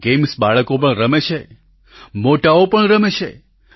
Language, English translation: Gujarati, These games are played by children and grownups as well